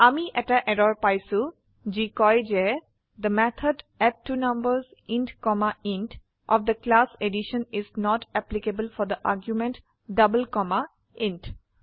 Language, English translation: Assamese, We get an error which states that , the method addTwoNumbers int comma int of the class addition is not applicable for the argument double comma int